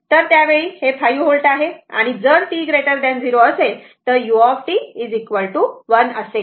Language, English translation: Marathi, So, at that time it is 5 volt and if t greater than 0 means u t is 1